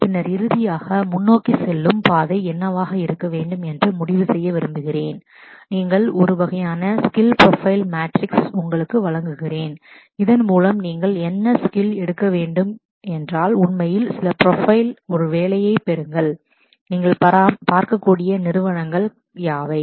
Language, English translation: Tamil, And then finally, I would like to conclude with what should be the road forward from you, presenting you a kind of a skill profile matrix so that what skills you must pick up to actually get a job off certain profile and what are the companies that you might look at working for